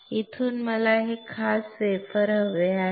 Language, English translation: Marathi, From here I want this particular wafer